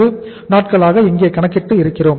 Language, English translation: Tamil, 4 days we have calculated here